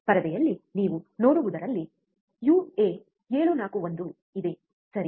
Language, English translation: Kannada, In the screen what you see there is a uA741, right